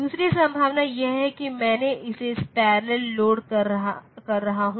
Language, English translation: Hindi, The other possibility is that I am loading it parallel